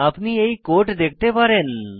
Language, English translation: Bengali, You can have a look at the code here